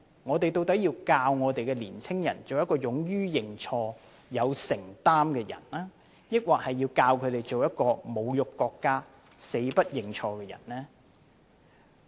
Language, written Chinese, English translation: Cantonese, 我們究竟要教導年輕人做勇於認錯、有承擔的人，還是要教他們做侮辱國家、死不認錯的人呢？, Do we want to teach young people to admit their mistakes and take responsibilities or teach them to insult their country and never admit their wrongdoings?